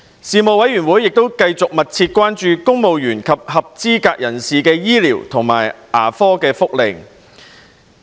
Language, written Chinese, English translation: Cantonese, 事務委員會繼續密切關注公務員及合資格人士的醫療及牙科福利。, The Panel continued to keep in close view the medical and dental benefits for civil service eligible persons CSEPs